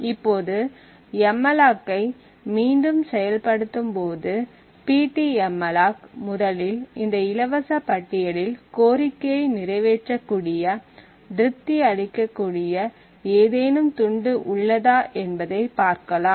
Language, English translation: Tamil, Now when malloc is invoked again pt malloc would first look into these free list and identify if there is a chunk which can satisfy this particular request